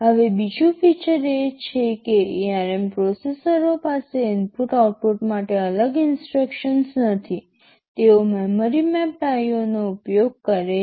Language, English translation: Gujarati, Now another feature is that I would like to say is that ARM processors does not have any separate instructions for input/ output, they use something called memory mapped IO